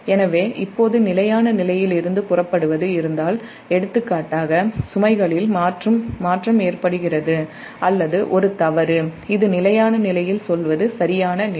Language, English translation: Tamil, so now, if there is a departure from the steady state occurs, for example, a change in load or a fault, this is, this is the perfect condition at steady state, say